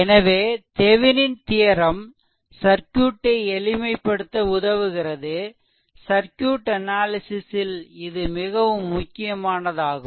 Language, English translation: Tamil, So, Thevenin theorems actually help to simplify by a circuit and is very important in circuit analysis